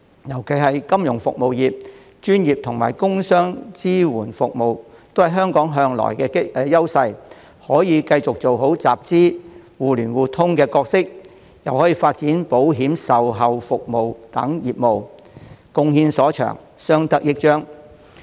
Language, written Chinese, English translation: Cantonese, 尤其是香港的金融服務業和專業及工商業支援服務業一直享有優勢，可以繼續做好集資、互聯互通的角色，又可發展保險售後服務等業務，貢獻所長，相得益彰。, In particular the financial services as well as the professional and producer services in Hong Kong have always enjoyed advantages . They can continue to perform their capital raising and connectivity functions and develop insurance after - sales services etc contributing their strengths and complementing each other